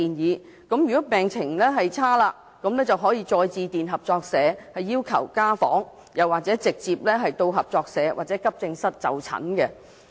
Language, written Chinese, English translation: Cantonese, 若病人的病情惡化，他們可以再致電合作社要求家訪，或直接到合作社或急症室就診。, Patients can call back the cooperative for a home visit or go to the cooperative or emergency room if the medical condition gets worse